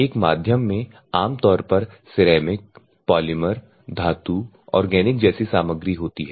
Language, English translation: Hindi, In a media normally materials like ceramic, polymer, metals, organic, shapes